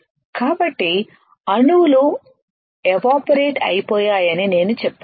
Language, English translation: Telugu, So, what I said atoms evaporated right